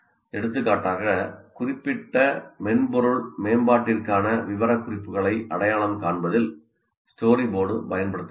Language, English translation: Tamil, So, story board is used, for example, in software development as part of identifying the specifications for a particular software